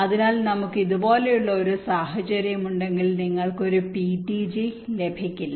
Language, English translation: Malayalam, so if we have a situation like this, you do not get a ptg